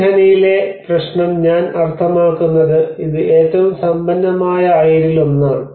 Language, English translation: Malayalam, And the problem with this mine I mean it is one of the richest ore